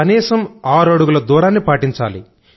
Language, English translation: Telugu, Observing a 6 feet distance is mandatory